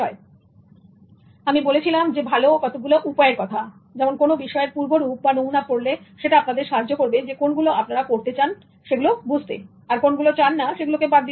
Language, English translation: Bengali, So I started with some good techniques such as reviewing sampling which will help you to eliminate what you do not want to read and choose the one you like to read